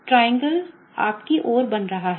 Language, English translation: Hindi, The triangle is forming towards you